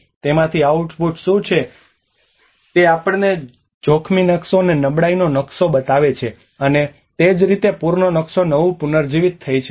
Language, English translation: Gujarati, And what is the output out of it it takes us a hazard map, and the vulnerability map, and that is how a flood tisk map regeneration